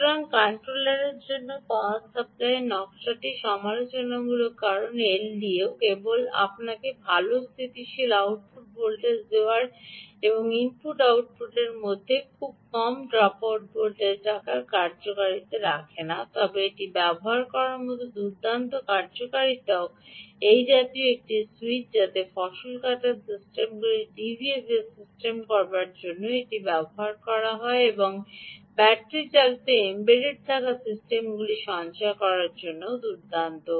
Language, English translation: Bengali, so the power supply design for the controller is critical because the l d o has not just functionality of giving you good, stable output voltage and having a very low ah dropout voltage between the input and the output, but also this kind of nice functionalities of using it like a switch ah so that harvesting sy systems can use, using it for doing d v f s also nice for saving power and battery driven embedded systems